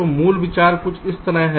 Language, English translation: Hindi, so the basic idea is something like this